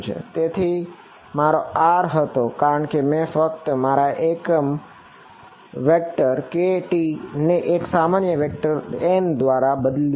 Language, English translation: Gujarati, So, this was my gamma normally why because I simply replaced my unit vector k hat by the unit normal vector n hat